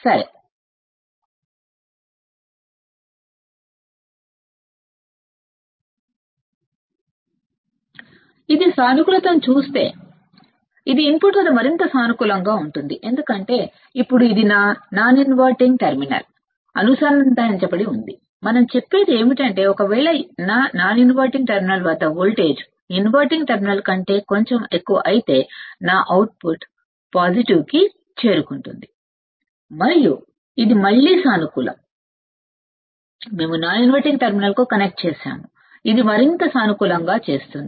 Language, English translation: Telugu, And this makes if this gives positive this makes even more positive at the input this makes even more positive at the input because now it is connected to the non inverting terminal right what, we say is that if my if my voltage at the non inverting terminal is slightly greater than the non inverting terminal my output will reach to positive